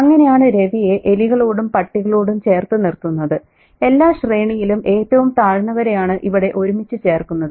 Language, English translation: Malayalam, And that's how, see, even Ravi being conflated, being put together with rats and dogs, you know, the lowest of the low in every order seem to be lumped together